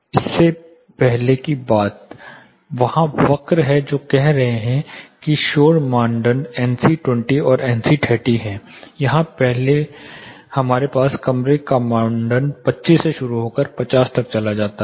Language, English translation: Hindi, Main as the earlier thing there are they were curves there are saying noise criteria NC 20 and NC 30 here we have room criteria starting from 25 it goes up to 50